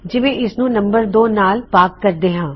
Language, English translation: Punjabi, So, lets say this is divided by num2